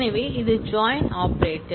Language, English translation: Tamil, So, this is the connection operator